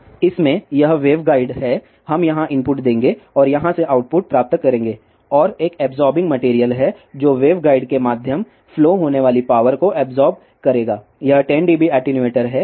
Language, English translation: Hindi, In this, this is the waveguide, we will give input here and get output from here and there is a absorbing material which will absorb the power flowing through the waveguide, this is 10 dB attenuator